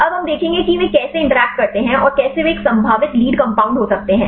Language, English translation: Hindi, Now, we will see how they interact and how they could be a potential lead compound